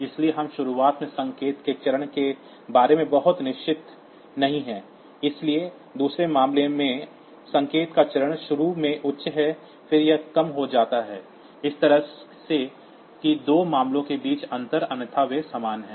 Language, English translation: Hindi, So, we are not very sure about the phase of the signal at the beginning, but in the second case the phase of the signal is initially high and then it goes to low, so that way that the difference between the two cases; otherwise they are same